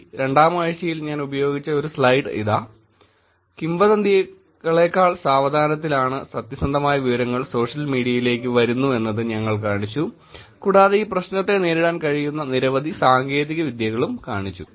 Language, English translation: Malayalam, Here is a slide that I used in week 2, where we showed that the truthful information is coming into the social media slower than the rumours, and there are multiple techniques by which you can actually attack this problem